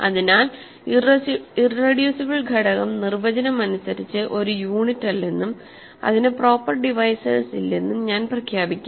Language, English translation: Malayalam, So, I will declare that a irreducible element is by definition not a unit and it has no proper divisors right